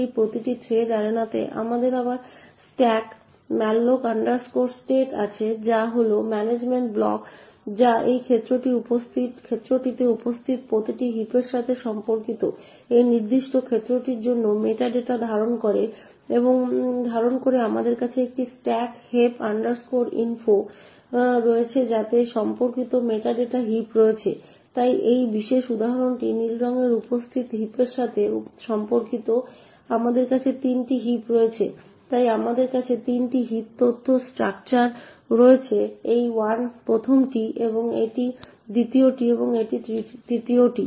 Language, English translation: Bengali, So in each of these thread arenas we again have the struck malloc state which is the management block which contains the meta data for this particular arena corresponding to each heap that is present in this arena we have a struck heap info which contains the meta data for that corresponding heap, so this particular example corresponding to the heap present in blue we have 3 heaps that are present therefore we have 3 heap info structures this is the 1st one, this is the 2nd one and this is the 3rd one